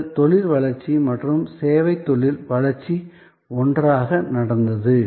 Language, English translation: Tamil, Our industrial growth and service industry growth kind of happened together